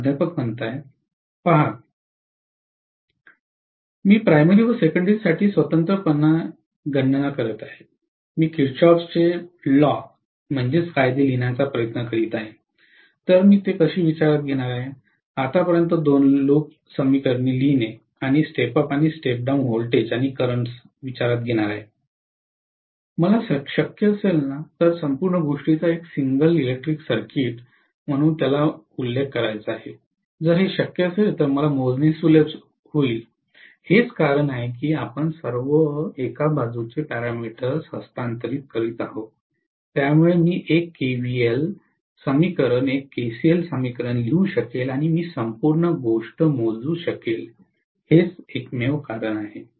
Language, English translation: Marathi, See if I am calculating separately for the primary and separately for the secondary, if I am trying to write Kirchhoff’s laws, how will I take that into consideration, what I have to do is to write two loop equations and step up or step down the voltages and currents every now and then, I wanted to actually mention the whole thing as one single electrical circuit, if it is possible, which will actually give me ease of calculation, that is the only reason why we are transferring over all the parameters to one single side, so that, I will be able to write 1 KVL equation 1 KCl equation and I would be able to calculate the whole thing, that is the only reason